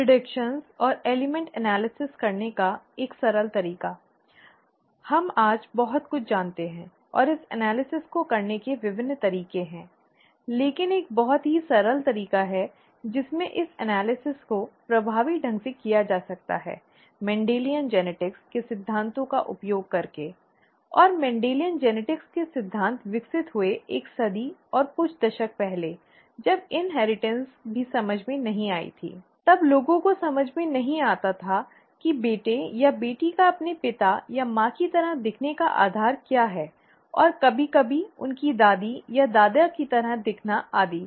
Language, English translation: Hindi, A simpler way to do the predictions and the element analysis, we know a lot today and there are various ways to do this analysis; but a very simple way in which this analysis can be effectively done is by using the principles of ‘Mendelian Genetics’, and the principles of Mendelian Genetics evolved, may be a century and a few decades ago, when inheritance was not even understood, when people did not understand how, what is the basis of the the the son or the daughter looking like their father or the mother, and sometimes looking like their grandmother or the grandfather and so on and so forth